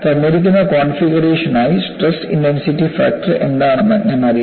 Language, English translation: Malayalam, For the given configuration, I should know, what are the stress intensity factors